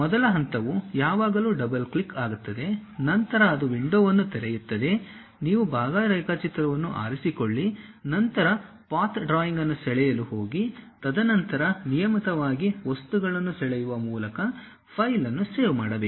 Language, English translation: Kannada, First step is always double clicking, then it opens a window, you pick part drawing, then go draw the path drawing, and then regularly save the file by drawing the things